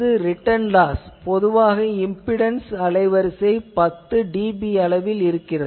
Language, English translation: Tamil, This is a return loss you see typically 10 dB is the impedance bandwidth